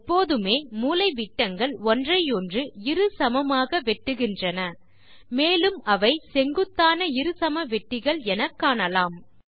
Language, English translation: Tamil, Notice that the diagonals always bisect each other and are perpendicular bisectors